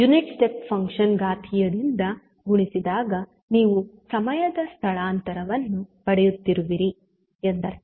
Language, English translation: Kannada, The unit step function multiplied by the exponential means you are getting the time shift